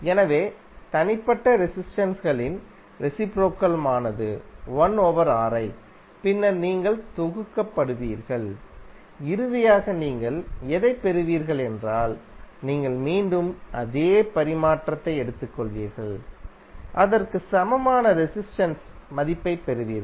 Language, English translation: Tamil, So reciprocal of individual resistances is 1 upon Ri and then you will sum up and whatever you will get finally you will take again the reciprocal of same and you will get the value of equivalent resistance